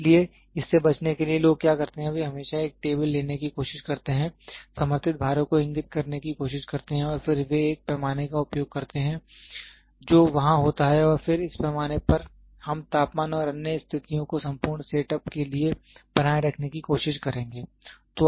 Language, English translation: Hindi, So, in order to avoid this, what people do is they always try to take a table, try to have pointed supporter loads and then they use to have a scale which is there and then this scale we will try to maintain the temperature and other conditions for the entire set up